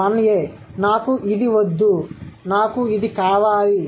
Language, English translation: Telugu, 1A, I don't want this, I want that